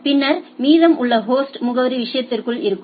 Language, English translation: Tamil, And then rest is the host address will be inside the thing right